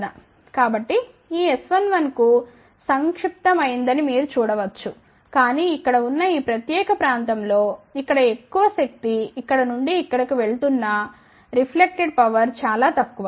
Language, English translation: Telugu, So, you can see that corresponding to this S 1 1 short up, but in this entire particular region over here where most of the power is going from here to here reflected power is very very small, ok